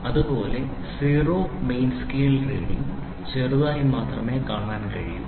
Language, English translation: Malayalam, And that the zero main scale division is barely visible